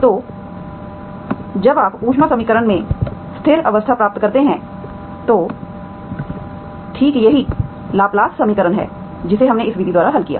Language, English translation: Hindi, So when you achieve the steady state in the heat equation, that is exactly the Laplace equation that we have solved by this method